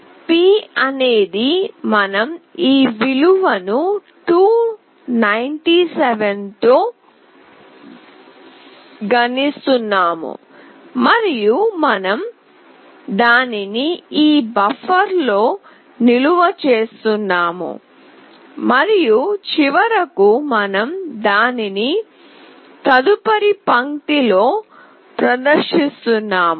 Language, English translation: Telugu, p is whatever we have got that we are multiplying with this value 297 and we are storing it in this buffer, and finally we are displaying it in the next line